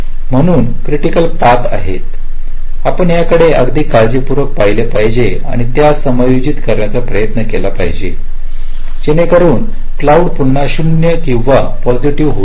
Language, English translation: Marathi, because it is the critical paths, we have to look at it very carefully and try to adjust its so that the slack again becomes zero or positive